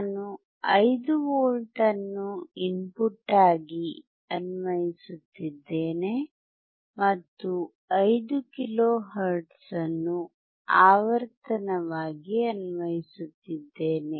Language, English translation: Kannada, I am applying 5V as input and applying 5 kilo hertz as a frequency